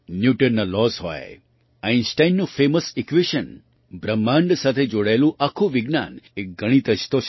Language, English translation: Gujarati, Be it Newton's laws, Einstein's famous equation, all the science related to the universe is mathematics